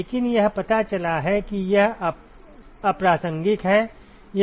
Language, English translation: Hindi, But it just turns out that it is irrelevant